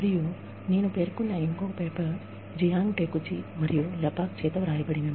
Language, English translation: Telugu, And, the other paper, that I have referred to is, by Jiang Takeuchi and Lepak